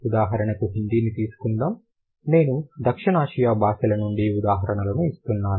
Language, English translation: Telugu, For example, let's say Hindi, considering I do give examples from South Asian languages